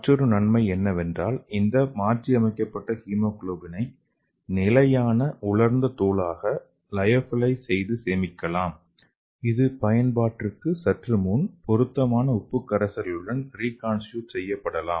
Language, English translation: Tamil, So another advantage is this modified hemoglobin can be lyophilized and stored as a stable dried powder so that can be reconstituted with the appropriate salt solution just before the use